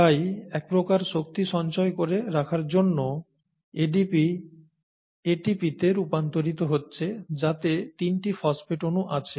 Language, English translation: Bengali, So ADP getting converted to ATP to kind of store up the energy currency and which is ATP 3 phosphate molecules